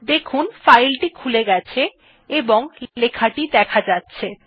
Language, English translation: Bengali, our text file is opened with our written text